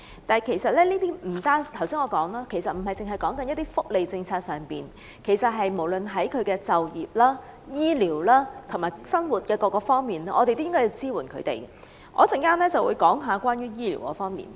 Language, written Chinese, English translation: Cantonese, 但正如我剛才所說，這不單指福利政策，而是無論就業、醫療和生活等各方面，我們都應該向他們提供支援，我稍後會討論醫療方面。, As I have just said this involves more than the welfare policy . Instead we should provide them with support in all aspects such as employment health care and livelihood . I will talk about the health care aspect later on